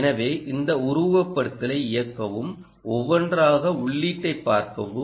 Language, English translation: Tamil, so run this simulation and see, one by one, input